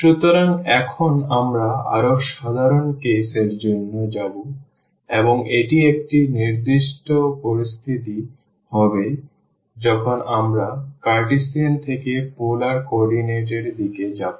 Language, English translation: Bengali, So, now, we will go for a more general case and this will be a particular situation when we go from Cartesian to polar coordinate